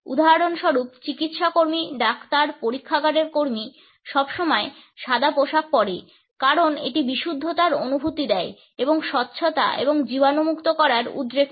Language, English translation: Bengali, For example, the medical staff, doctors, lab workers are always dressed in white because it imparts a sense of purity and also evokes associations of sanitation and sterility